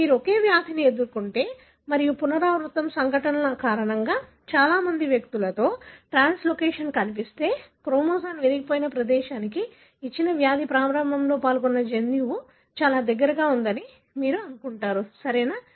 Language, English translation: Telugu, If you are getting the same disease and the translocation is seen in many individual because of recurrent events, then you would assume that the gene involved in the onset of the given disease is located very close to where the chromosome is broken, right